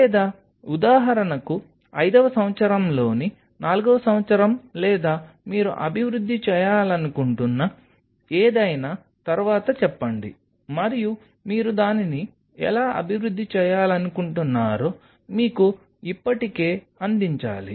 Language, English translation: Telugu, Or say for example, fourth year of fifth year down the line or in next any you want to develop, and you have to have the provision already there how you want to develop it